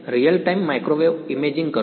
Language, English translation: Gujarati, Real time microwave imaging